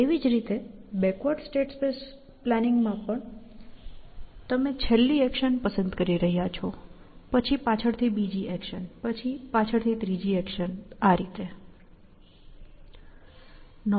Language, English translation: Gujarati, Likewise in backward state space planning essentially; you are choosing the last action, then the second last action then the third last action and so on essentially